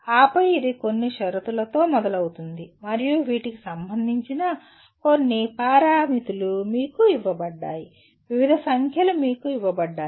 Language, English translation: Telugu, And then it starts at some conditions and there are certain parameters of concern are given to you, various numbers are given to you